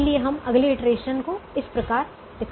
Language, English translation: Hindi, so we show the next iteration this way